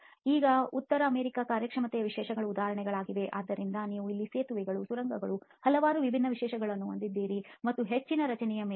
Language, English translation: Kannada, Now just an examples of performance specifications from North America, so you have here several different specifications for bridges and tunnels and so on very high profile structure